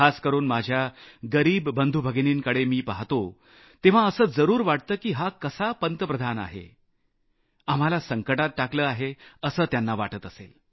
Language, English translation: Marathi, And when it comes to my underprivileged brothers and sisters, they must be wondering on the kind of Prime Minister they have, who has pushed them to the brink